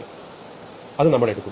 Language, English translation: Malayalam, So, we are taking